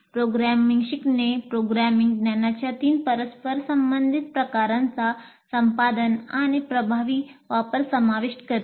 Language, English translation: Marathi, Learning programming involves the acquisition and effective use of three interrelated types of programming knowledge